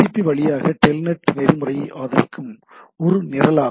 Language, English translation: Tamil, Telnet is a program that supports TELNET protocol over TCP